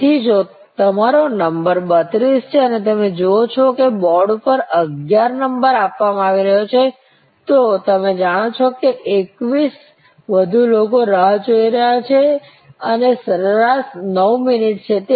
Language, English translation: Gujarati, So, if your number is 32 and you see that on the board number 11 is getting served, so you know; that is gap of 21 more people waiting and into average 9 minutes